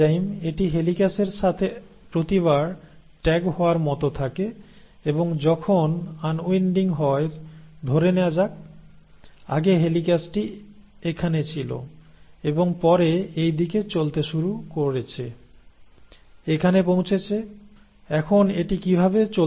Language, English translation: Bengali, It kinds of tags along every time with a helicase, and as the unwinding happens, this the, let us say, earlier the helicase was sitting here and then started moving in this direction, reached here, now it has continued to move like that